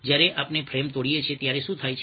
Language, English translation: Gujarati, when we break a frame, what happens